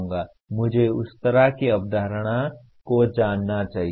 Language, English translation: Hindi, I should know that kind of a concept